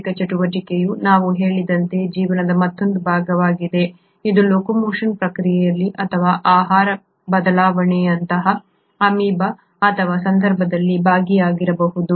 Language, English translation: Kannada, Mechanical activity is another part of life as we mentioned which may either be involved in the process of locomotion or in this case of amoeba such as shape change